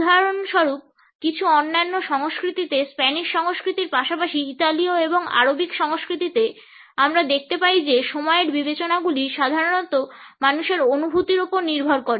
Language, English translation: Bengali, In certain other cultures for example, in Spanish culture as well as in Italian and Arabic cultures, we find that the considerations of time are usually subjected to human feelings